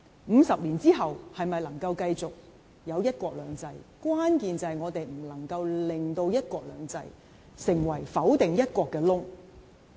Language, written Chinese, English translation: Cantonese, 五十年後是否繼續有"一國兩制"，關鍵在於我們不能令"一國兩制"成為否定"一國"的缺口。, Whether one country two systems will still be in place 50 years later hinges on us not allowing one country two systems to become a breach that denies one country